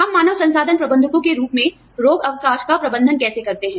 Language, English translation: Hindi, How do we, as human resources managers, manage sick leave